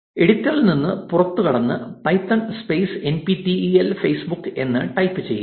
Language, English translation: Malayalam, Exit the editor and say python space NPTEL Facebook